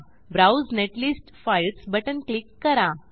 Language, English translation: Marathi, Click on Browse netlist Files button